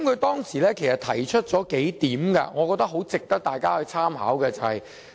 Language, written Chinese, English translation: Cantonese, 當時他提出了數點，我認為值得大家參考。, Back then he had put forth several points and I think these are worthy of reference to Members